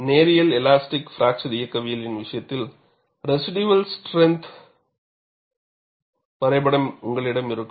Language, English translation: Tamil, In the case of linear elastic fracture mechanics, you will have a residual strength diagram